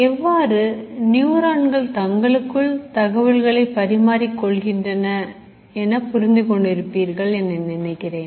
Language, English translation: Tamil, I hope you would have got an idea of how the neurons talk to each other